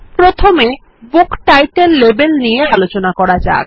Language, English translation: Bengali, Let us first consider the Book Title label